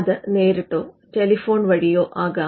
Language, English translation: Malayalam, Now this could be in person or over phone